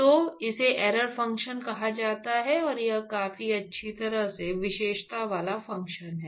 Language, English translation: Hindi, So, it is called the error function, and it is a fairly well characterized function